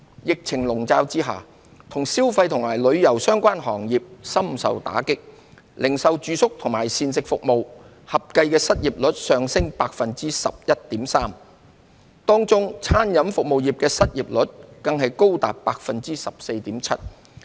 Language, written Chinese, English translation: Cantonese, 疫情籠罩下，與消費及旅遊相關行業深受打擊，零售、住宿及膳食服務業合計的失業率上升至 11.3%， 當中餐飲服務業的失業率更高達 14.7%。, Amid the epidemic the consumption - and tourism - related sectors were hit hard . The unemployment rate of the retail accommodation and food services sectors combined rose to 11.3 % . In particular the unemployment rate of the food and beverage services sector reached a high level of 14.7 %